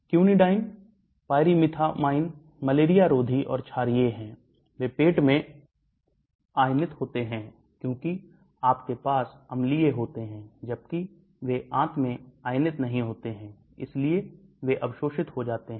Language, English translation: Hindi, Quinidine, pyrimethamine, anti malarials and basic they are ionized in the stomach, because you have acidic, whereas they are unionized in the intestine, so they get absorbed